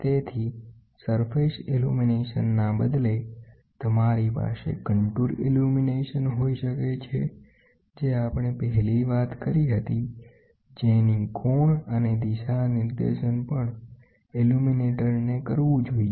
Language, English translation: Gujarati, So, instead of the surface illumination, you can have contour illumination, which was the first thing which we discussed, the angle and the orientation can also be done of the illuminator should be adjusted